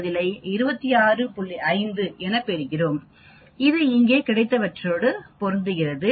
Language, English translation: Tamil, 5, which matches with whatever we got here